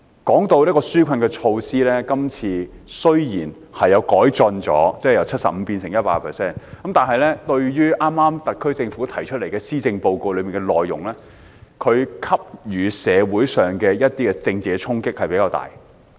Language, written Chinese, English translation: Cantonese, 談到紓困措施，今次雖然有改進，稅務寬免由 75% 提升至 100%， 但與特區政府剛公布的施政報告內容相比，施政報告給予社會的政治衝擊比較大。, As regards the relief measures there is improvement this time with the tax concession rate increased from 75 % to 100 % . However in comparison the Policy Address released earlier by the SAR Government has a larger political impact on society